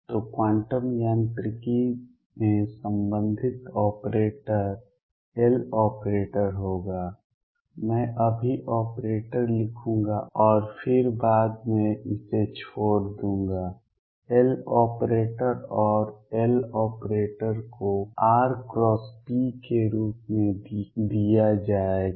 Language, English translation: Hindi, So, the corresponding operator in quantum mechanics will be L operator I will write operator now and then drop it later L operator and L operator would be given as r cross p operator